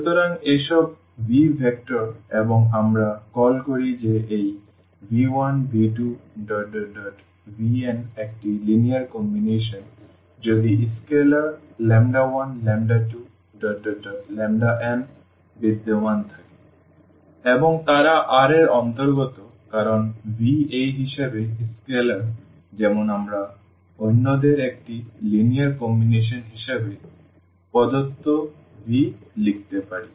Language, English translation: Bengali, So, these all are vectors in V and we call that this V is a linear combination of v 1, v 2, v 3, v n if there exists scalars lambda 1, lambda 2, lambda 3, lambda n and they belongs to R because V these as a as the scalars as such that we can write down this v here the given v as a linear combination of the others